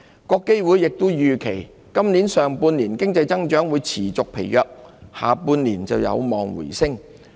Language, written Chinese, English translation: Cantonese, 國基會亦預期，今年上半年環球經濟增長會持續疲弱，下半年則有望回升。, IMF also anticipated that global economic growth will remain sluggish throughout the first half of this year with a rebound expected in the second half